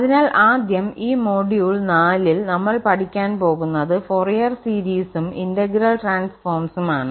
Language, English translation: Malayalam, So, just first, let me tell you what we will be covering in this module four, so it’s Fourier series on and this integral transforms